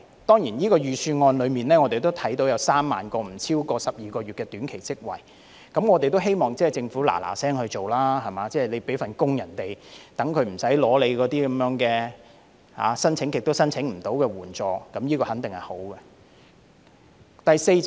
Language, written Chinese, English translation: Cantonese, 當然，我們看到這份預算案有3萬個不超過12個月的短期職位，我們亦希望政府趕快實行，為市民提供工作，免他們申領那些一直無法成功申請的援助，這肯定是好事。, Certainly we can see in this Budget that 30 000 short - term jobs will be created for a period of not exceeding 12 months . We also hope that the Government will implement the proposal expeditiously to provide jobs for the public so that they do not have to apply for assistance which they have failed to obtain so far . This will definitely be a good thing